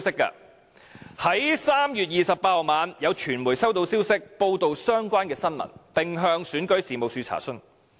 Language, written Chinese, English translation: Cantonese, 在3月28日晚上，有傳媒收到消息，報道相關的新聞，並向選舉事務處查詢。, On the night of 28 March the media received information about the incident and reported it . The media also tried to confirm the incident with REO